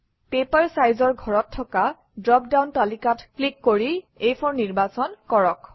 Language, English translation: Assamese, In the Paper Size field, click on the drop down list and select A4